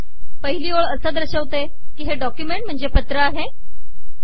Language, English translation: Marathi, The first line says that this belongs to letter document class